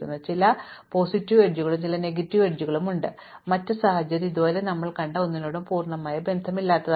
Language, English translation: Malayalam, So, there are some positive edges and there are some negative edges, and the other situation is completely unrelated to anything we have seen so far